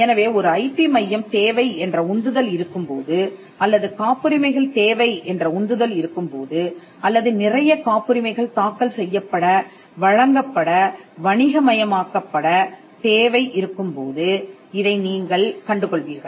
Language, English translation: Tamil, So, you will find that when there is a push to have an IP centre or to have patents or to have to submit the number of patents you have filed, granted and commercialized